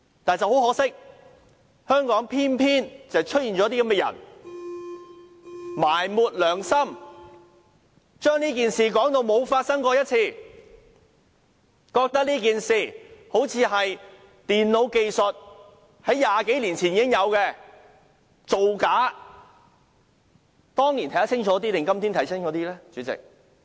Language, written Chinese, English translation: Cantonese, 但是，很可惜，香港偏偏出現這些埋沒良心的人，將這件事說成沒有發生過，把這件事說成好像是以電腦技術在20多年前已經製造出來的，是造假。, But much to our regret in Hong Kong there are exactly these people who have buried their conscience by describing this incident as if it has never happened . They have described this incident as if it was invented some two decades ago with the use of computer technology and a sheer fabrication